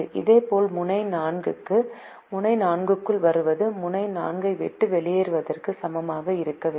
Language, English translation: Tamil, similarly, for node four, whatever comes into node four should be equal to what leaves node four